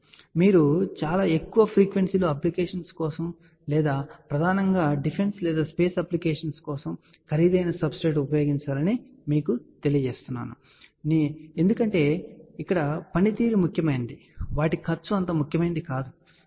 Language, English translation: Telugu, So, I just want to tell you you know you should use a expensive substrate mainly for applications at very high frequency or applications which are mainly for either defense or space because their cost is not that much important as much as performance is important, ok